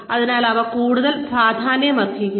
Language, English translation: Malayalam, So, these become more important